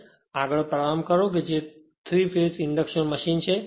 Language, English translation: Gujarati, So, this is starter of 3 phase induction motor